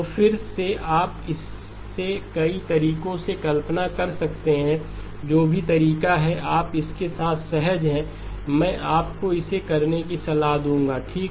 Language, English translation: Hindi, So again you can visualize it in multiple ways, whatever is the way that you are comfortable with that I would recommend you to do that okay